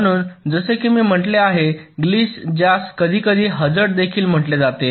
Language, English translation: Marathi, so, as i had said, a glitch, which sometimes is also known as hazard